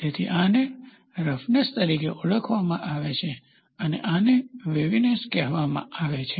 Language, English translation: Gujarati, So, these are called as roughness and this is called as waviness